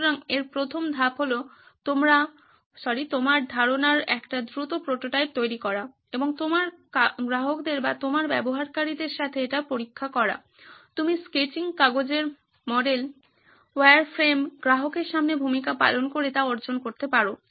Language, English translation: Bengali, So the first step in that is to make a quick prototype of your idea and test it with your customers or your users, you can achieve that by sketching, paper models, wireframes, role plays in front of the customer